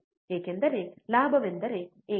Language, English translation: Kannada, Because the gain is unity